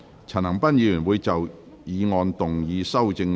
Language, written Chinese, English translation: Cantonese, 陳恒鑌議員會就議案動議修正案。, Mr CHAN Han - pan will move an amendment to the motion